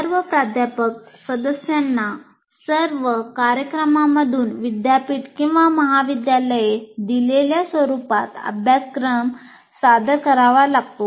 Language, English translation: Marathi, But all faculty members will have to submit the syllabus in the format given by the university or college from all programs